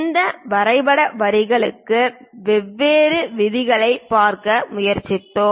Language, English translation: Tamil, Then we have tried to look at different rules for this drawing lines